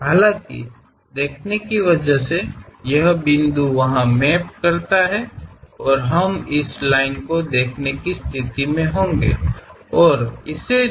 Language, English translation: Hindi, However, because of view, this point maps there and we will be in a position to see this line and also this one